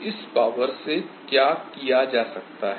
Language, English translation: Hindi, what can we do with that